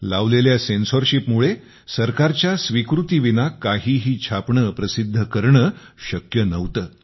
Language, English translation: Marathi, The condition of censorship was such that nothing could be printed without approval